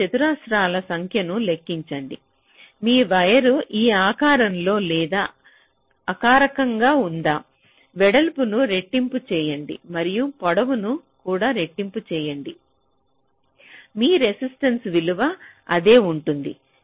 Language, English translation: Telugu, so whether your wire is of shape like this: or you increase the wire in terms of the length and the width by the same multiplicative factor, make the width double and make the length also double, your resistance value will remain the same